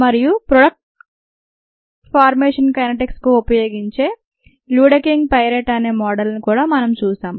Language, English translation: Telugu, and we also saw the ah a model, the luedeking piret model, for the product formation kinetics